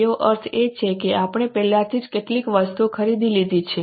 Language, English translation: Gujarati, That means we have already purchased some goods